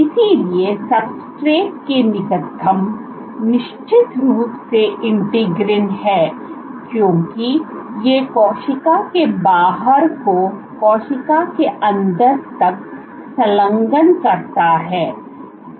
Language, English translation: Hindi, So, closest to the substrate is of course, the integrins because this is what engages the outside of the cell to the inside of the cell